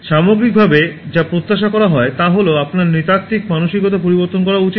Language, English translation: Bengali, Overall, what is expected is that you should change your anthropocentric mindset